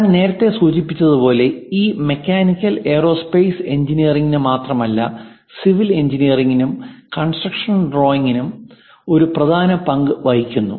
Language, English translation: Malayalam, As I mentioned earlier it is not just for mechanical and aerospace engineering, even for a civil engineering and construction drawing plays an important role